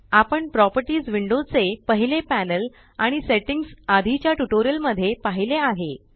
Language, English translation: Marathi, We have already seen the first panel of the Properties window and the settings in the previous tutorial